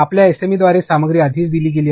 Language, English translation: Marathi, Content is given by your SME already